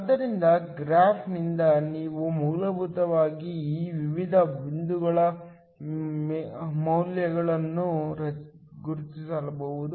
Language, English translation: Kannada, So, from the graph, we can essentially marks the values of these various points